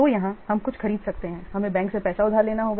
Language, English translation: Hindi, So, here we may, in order to purchase something, we have to borrow money from the bank